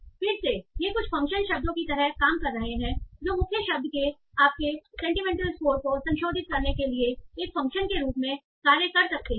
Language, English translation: Hindi, So again these are acting like some function words that can act as a function to modify your sentiment score of the main word